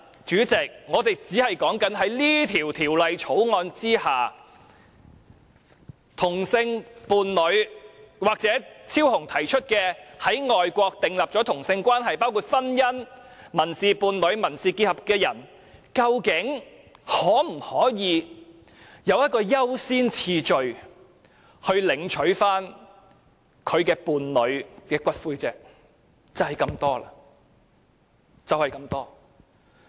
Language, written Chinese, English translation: Cantonese, 主席，我們今天討論的只是在《條例草案》之下，同性伴侶或張超雄議員提出的、已在外國訂立同性關係，包括婚姻、民事伴侶、民事結合的人，究竟可否享優先次序領取其伴侶的骨灰，只是這麼多而已。, Chairman today all we are discussing is whether same - sex partners or people of a same - sex relationship contracted overseas including marriage civil partnership and civil union as mentioned by Dr Fernando CHEUNG can have priority in claiming the ashes of their partner under the Bill and that is all